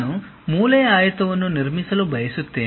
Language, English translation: Kannada, I would like to construct a corner rectangle